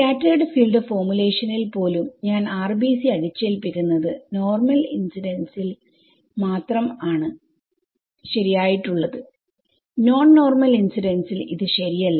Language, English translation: Malayalam, Even in the scattered field formulation I am imposing the boundary condition the RBC which is correctly true only for normal incidence not for non normal incidence right